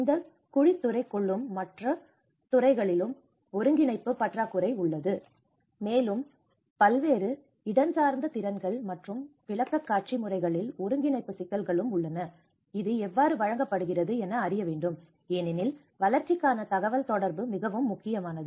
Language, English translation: Tamil, Within the discipline, there is the lack of coordination and with across the disciplines is also lack of the coordination and there also coordination issues across different spatial skills and also the manner of presentation, how it is presented because how a communication for development is very important